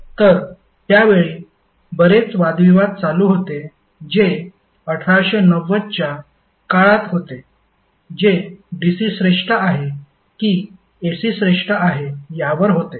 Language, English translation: Marathi, So, at that time, a lot of debates were going on that was around 1890 period that which is superior whether DC is superior or AC is superior